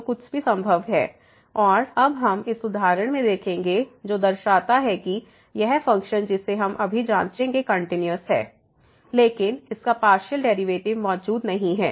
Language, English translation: Hindi, So, anything is possible and we will see now in this example which shows that this function we will check now is continuous, but its partial derivatives do not exist